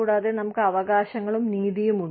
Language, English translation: Malayalam, And, we have, rights and justice